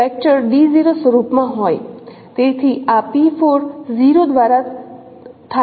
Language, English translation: Gujarati, So that is a 0 vector